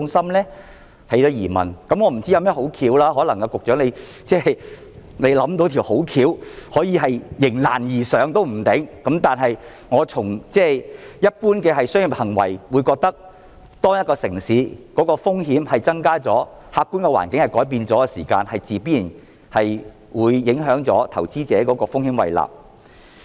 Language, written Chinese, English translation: Cantonese, 我不知道有甚麼好的方法，說不定局長可能也未想到有甚麼好的點子可以迎難而上，但從一般商業行為來評估，我認為當一個城市的風險增加了、客觀的環境改變了的時候，自然會影響到投資者的風險胃納。, I cannot come up with any good idea . Perhaps the Secretary cannot come up with any good idea either to forge ahead in the face of difficulties . But judging by common business behaviour I consider that when the risk of a city has increased after the objective environment has changed investors risk tolerance and appetite will certainly be affected